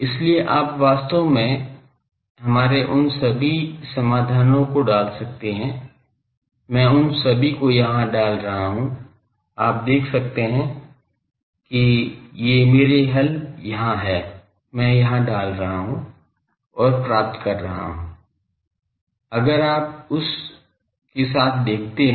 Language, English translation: Hindi, So, you can put in our all those solution actually, I am putting all those here, you see these are my solutions here, I am putting and getting if you see with that